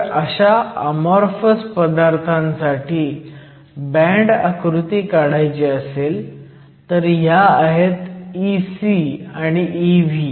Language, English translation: Marathi, So, if I were to draw the band diagram for amorphous material, so once again I will mark E c and E v